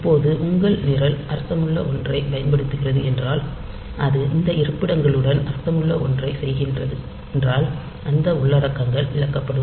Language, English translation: Tamil, Now, if your program is using something meaningful, so it is doing something meaningful with these locations then those contents will be lost